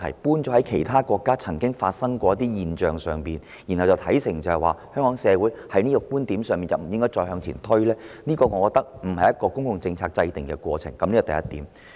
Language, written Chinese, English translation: Cantonese, 否則，以其他國家曾經出現此現象為理由，認定香港社會在這問題上不宜再作推進，我認為並不是制訂公共政策的應有做法。, In my opinion as far as the formulation of policies is concerned it is not proper to conclude that it is not suitable for the Hong Kong society to move forward in this area on the grounds of what has happened in other countries